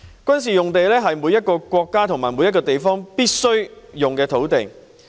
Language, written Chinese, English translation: Cantonese, 軍事用地是每個國家和地方必須撥備的土地。, Military sites are an essential provision in every country or region